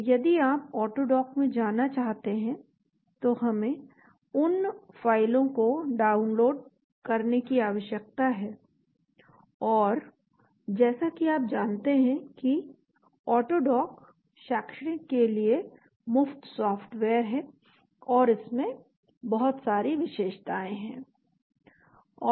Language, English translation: Hindi, So if you want to go to AutoDock, we need to download those files and as you know AutoDock is free software for academic and it has lot of features built into that and,